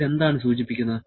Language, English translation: Malayalam, What does it indicate